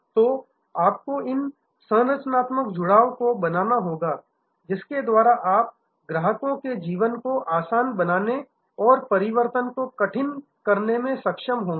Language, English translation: Hindi, So, you have to create these structural bonds by which you are able to make the customers life easier and switching more difficult